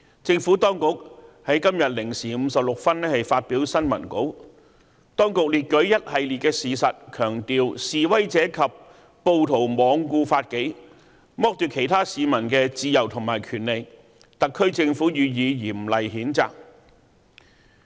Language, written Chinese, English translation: Cantonese, 政府當局在今天0時56分發表新聞稿，列舉了一系列事實，強調"示威者及暴徒罔顧法紀，剝奪其他市民的自由和權利，特區政府予以嚴厲譴責。, The Administration issued a press release at 00col56 am to list a host of facts and emphasized that The Government strongly condemns the protesters and rioters who disregarded law and order and deprived the freedom and rights of other members of the public